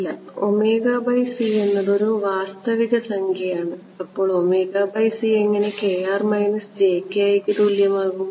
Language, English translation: Malayalam, No omega by c is a real number how can omega by c equal to k r minus j k i